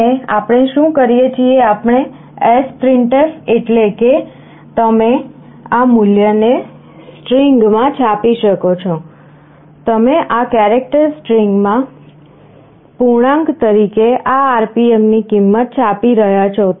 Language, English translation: Gujarati, And what we do we sprintf means you can print this value into a string, you are printing the value of this RPM as an integer into this character string